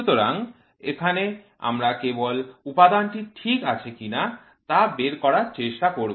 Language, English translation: Bengali, So, here we just try to figure out whether the component is ok or not